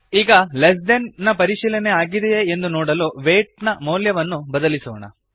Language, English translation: Kannada, Now let us change the value of weight to see if the less than check is performed